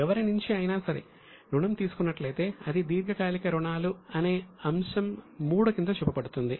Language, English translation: Telugu, From anybody, if they have taken loan, then it will be shown under the head 3A as long term borrowings